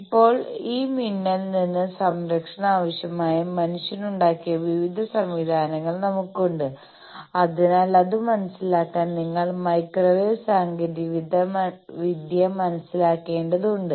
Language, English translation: Malayalam, Now, we have various systems man has made, which need protection against this lightning, so to understand that you need to understand microwave technology